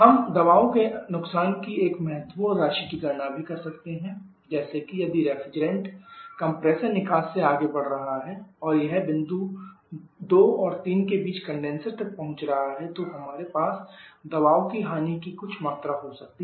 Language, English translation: Hindi, You can also a significant amount of pressure losses like in the different is moving from the compressor exit and it is reaching the condenser between the point 2 and 3, we may have some amount of pressure loss